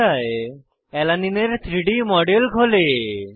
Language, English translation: Bengali, A 3D model of Alanine opens on screen